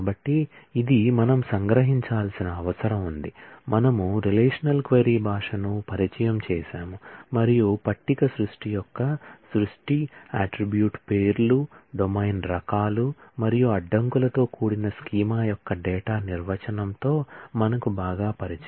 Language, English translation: Telugu, So, this is what we have to summarize, we have introduced the relational query language and particularly familiarize ourselves with the data definition that is creation of the table creation, of the schema with the attribute names, domain types and constraints